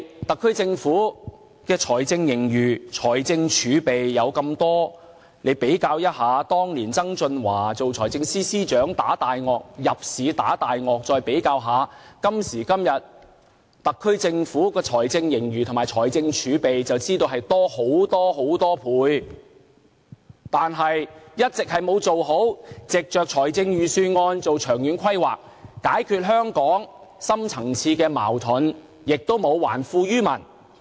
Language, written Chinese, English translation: Cantonese, 特區政府的財政盈餘和財政儲備那麼多，以當年曾俊華為財政司司長入市"打大鱷"，與特區政府今時今日的財政盈餘和財政儲備比較，便知道多了很多倍，但政府一直沒有藉着預算案做好的長遠規劃，解決香港的深層次矛盾，也沒有還富於民。, As the SAR Government has such a substantial fiscal surplus and fiscal reserve one should know that they have been increased by so many times if we compare the current fiscal surplus and fiscal reserve with those in the years when the then Financial Secretary John TSANG entered the market to deal a blow to predators . But the Government fails to furnish a long - term planning to resolve Hong Kongs deep - rooted conflicts with the help of the budget and it fails to return wealth to the people